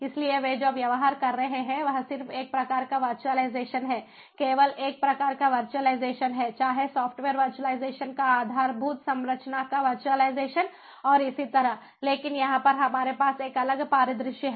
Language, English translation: Hindi, so what they are dealing with is just one kind of virtualization, virtualization of only one type, whether if the virtualization of software, virtualization of infrastructure and so on